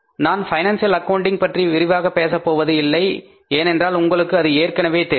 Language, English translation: Tamil, I don't want to go in detail about the financial accounting because you know it about